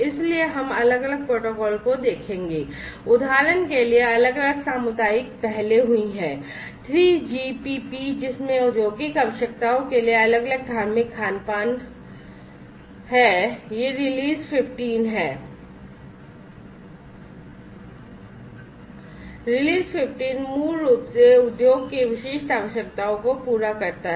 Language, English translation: Hindi, So, we will look at different protocols there have been different community initiatives for example, the 3GPP which has different religious you know catering to industrial requirements is this release 15, release 15 basically caters to the industry specific requirements